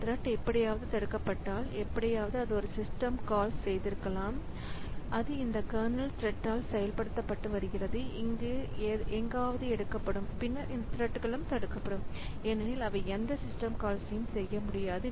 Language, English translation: Tamil, So, if this thread is blocked somehow, maybe this fellow has made a system call and it was getting executed by this, this kernel thread and it got blocked somewhere here, then these threads will also get blocked because they cannot make any system call